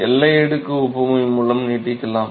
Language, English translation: Tamil, By boundary layer analogy right